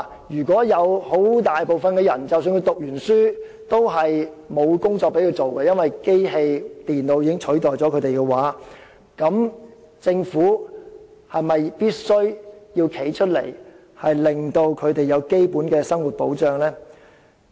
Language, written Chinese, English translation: Cantonese, 如果有很大部分的人在畢業後會因為已被機器和電腦取代而找不到工作，政府是否必須挺身為他們提供基本的生活保障？, If most tasks can be performed by machine and computer thus rendering it impossible for the great majority of people to land a job after graduation should the Government come forward to offer them basic living protection?